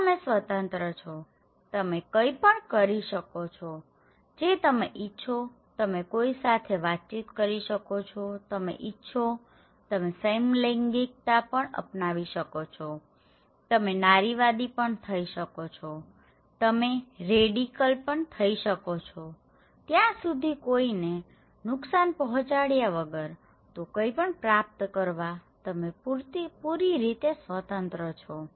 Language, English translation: Gujarati, So, you are free, you can do anything you want, you can interact with anyone, you want you can be a homosexual, you can be a feminist, you can be a radical that is up to you unless and until you are harming anyone so, you were open; you were open to achieve anything you want